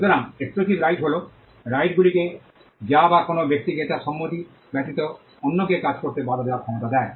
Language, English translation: Bengali, So, exclusive rights are rights which confer the ability on a person to stop others from doing things without his consent